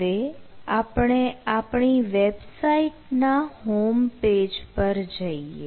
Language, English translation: Gujarati, so we need to go to the homepage of our website